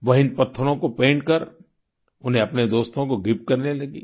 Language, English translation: Hindi, After painting these stones, she started gifting them to her friends